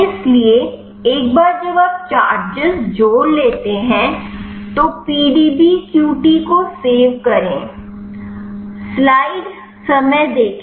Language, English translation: Hindi, So, once you have added the charges then file save PDBQT